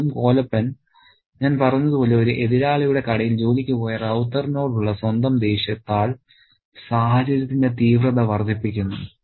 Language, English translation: Malayalam, And again, Collepin, as I said, increases the intensity of the situation by his own anger at Ravatar who has gone to work in a rival shop